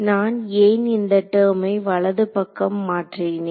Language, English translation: Tamil, Why did I move this term to the right hand side